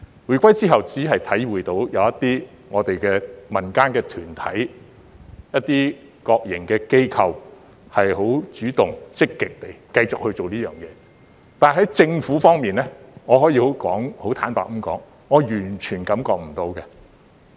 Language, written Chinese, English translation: Cantonese, 回歸後我只觀察到一些民間團體、一些國營機構主動和積極地繼續這樣做，但政府方面，我可以很坦白地說，我完全感覺不到。, After the reunification I have observed that only some community organizations and some state - run organizations continue to do so actively and positively but in terms of the Government I can honestly say that I do not feel anything at all